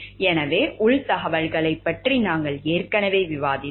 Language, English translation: Tamil, So, we have already discussed about insider information